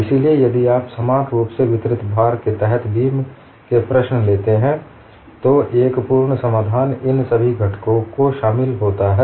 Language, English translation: Hindi, So, if you take the problem of beam under uniformly distributed load, complete solution encompasses all these components